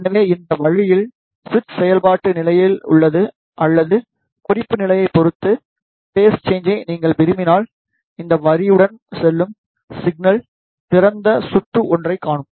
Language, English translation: Tamil, So, in this way, when the switch is in actuation state or if you want to have the phase change with respect to the reference state, then the signal which is passing through with this line will see an open circuit